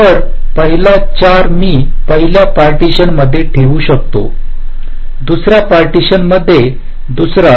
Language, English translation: Marathi, so the first four i can keep in the first partition, second in the other partition